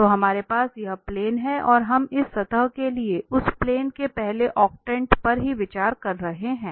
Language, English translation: Hindi, So we have this plane and we are considering only the first octant of that plane for this surface